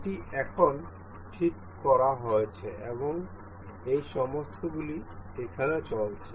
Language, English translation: Bengali, This is fixed now and all these are moving